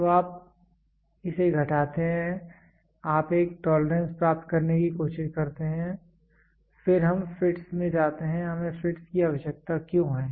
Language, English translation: Hindi, So, you subtract it you try to get a tolerance then we moved on to fits; why do we need fits